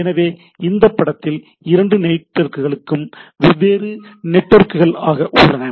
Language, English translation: Tamil, So, this two networks are different networks